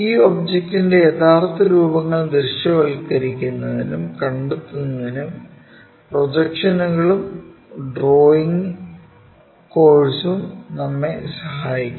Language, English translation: Malayalam, The projections and the drawing course help us to visualize, to find out these object true shapes